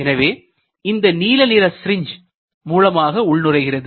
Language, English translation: Tamil, So, the blue color dye is coming here through an injection syringe